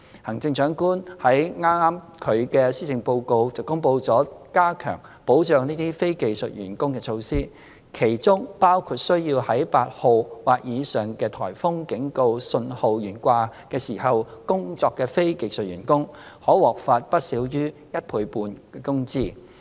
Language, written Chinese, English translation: Cantonese, 行政長官剛於她的施政報告公布了加強保障這些非技術員工的措施，其中包括需要在8號或以上颱風警告信號懸掛時工作的非技術員工，可獲發不少於一倍半工資。, The Chief Executive has just announced in her Policy Address measures for enhancing the protection of these non - skilled employees . These include the provision of at least 150 % of wages to non - skilled employees for working under Typhoon Warning Signal No . 8 or above